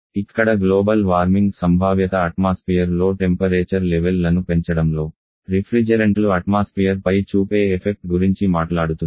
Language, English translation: Telugu, Here the global warming potential talks about the effect the refrigerants may have on the environmental increasing the temperature levels in environment